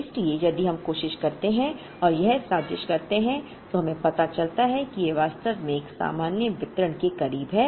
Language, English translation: Hindi, So, if we try and plot it we realize that it is actually can be modeled close to a normal distribution